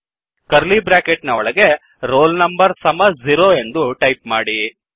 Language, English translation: Kannada, Within curly brackets roll number is equal to 0